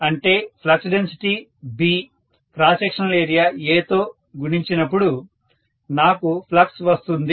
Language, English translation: Telugu, Which means flux density multiplied by cross sectional area, that is what gives me the flux